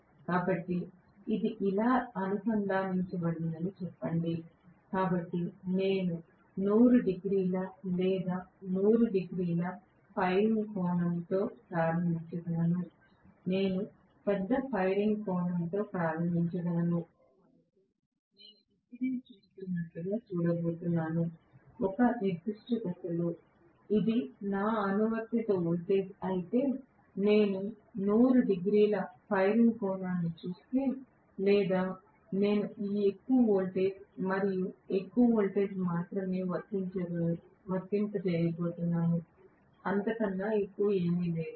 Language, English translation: Telugu, So, let us say this is connected like this, so I can start with the firing angle of 100 degrees or you know, 120 degrees, I can start off with a large firing angle, so I am going to look at it as though if I just look at one particular phase, if this is my applied voltage, if I look at the firing angle of 100 degrees or something I am going to apply only this much of voltage and this much of voltage, nothing more than that right